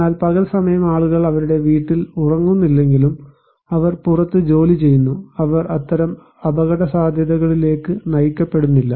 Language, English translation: Malayalam, But day time maybe people are not sleeping at their home but they are working outside so, they are not exposed to that kind of risk